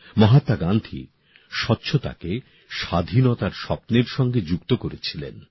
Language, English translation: Bengali, Mahatma Gandhi had connected cleanliness to the dream of Independence